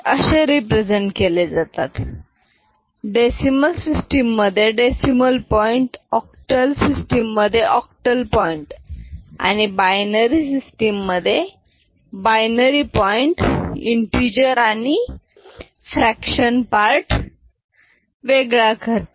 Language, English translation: Marathi, So, decimal point in decimal system, octal point in octal system, binary point in binary system, so that is the point over here ok